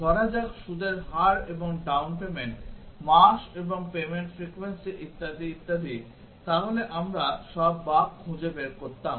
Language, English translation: Bengali, Let say interest rate and down payment, month and the payment frequency etcetera then we would have found out all the bugs